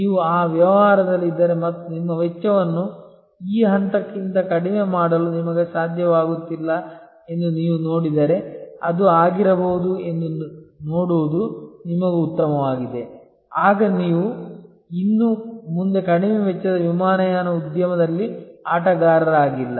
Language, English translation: Kannada, If you are in that business and you see that you are unable to reduce your cost below this point, then it is better for you to see that may be then you are no longer a player in the low cost airlines industry